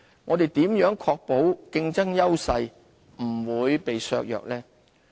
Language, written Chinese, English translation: Cantonese, 我們如何確保競爭優勢不會被削弱呢？, How can we ensure that our competitive advantages would not be undermined?